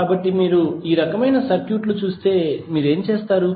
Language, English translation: Telugu, So, if you see these kind of circuits what you will do